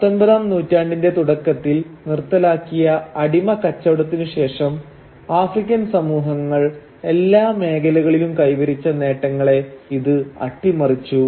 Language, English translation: Malayalam, And by doing so reversed much of the gains that the African societies had achieved in almost every field since the abolition of the slave trade in the early 19th century